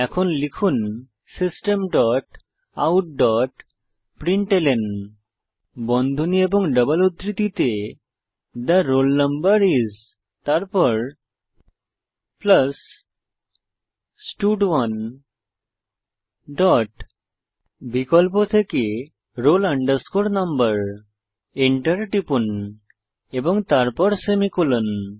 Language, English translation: Bengali, So for that type System dot out dot println within brackets and double quotes, The roll number is, then plus stud1 dot from the option provided select roll no press Enter then semicolon